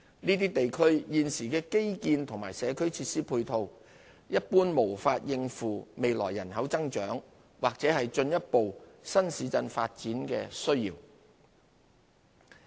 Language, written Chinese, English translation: Cantonese, 這些地區現時的基建和社區設施配套，一般無法應付未來人口增長或進一步新市鎮發展的需要。, Generally speaking it is not feasible for the existing infrastructural and community facilities in these areas to cope with the demand arising from the future population growth or the further development of new towns